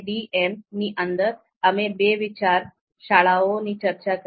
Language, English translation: Gujarati, Within MADM, we talked about that there are two schools of thought